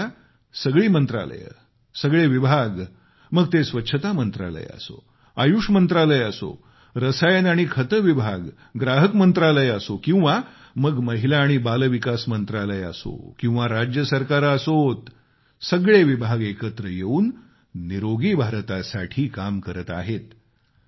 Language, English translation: Marathi, But now, all departments and ministries be it the Sanitation Ministry or Ayush Ministry or Ministry of Chemicals & Fertilizers, Consumer Affairs Ministry or the Women & Child Welfare Ministry or even the State Governments they are all working together for Swasth Bharat and stress is being laid on affordable health alongside preventive health